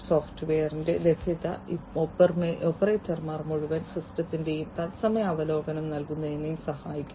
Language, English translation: Malayalam, Availability of software also helps in providing real time overview of the entire system to the operators